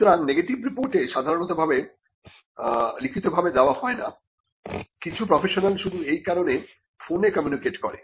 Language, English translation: Bengali, So, the report; a negative report is normally not given in writing, some professionals just communicate over the phone for this reason